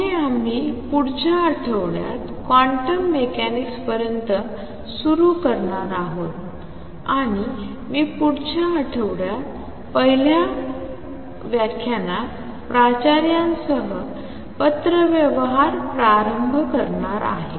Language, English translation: Marathi, Next, we are going to start the next week the build up to quantum mechanics, and I am going to start with correspondence principal in the first lecture next week